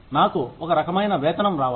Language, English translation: Telugu, I should get fair pay